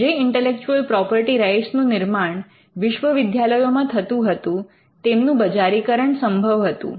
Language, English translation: Gujarati, The intellectual property rights that are created in the universities could be commercialized